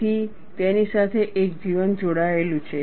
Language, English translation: Gujarati, So, there is a life attached to it